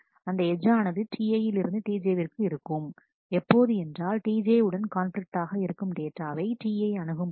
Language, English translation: Tamil, And the edge will be from T i to T j, if T i access the data item which conflict with T j